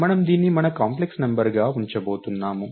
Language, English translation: Telugu, So, we are going to keep this as our complex number